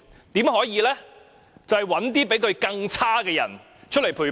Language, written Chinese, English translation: Cantonese, 就是找一些比他更差的人出來陪跑。, That is to find some also - rans who are even worse than him or her